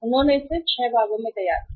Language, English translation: Hindi, They devised it into the 6 parts